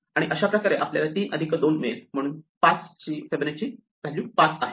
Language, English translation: Marathi, And in this way, we get 3 plus 2 and therefore, Fibonacci of 5 is 5